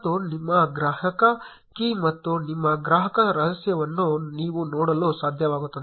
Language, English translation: Kannada, And you will be able to see your consumer key and your consumer secret